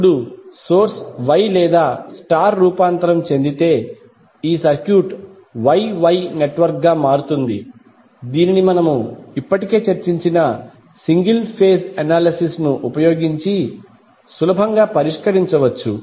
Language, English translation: Telugu, Now once the source is transformed into Y or star, these circuit becomes Y Y network which can be easily solved using single phase analysis which we have already discussed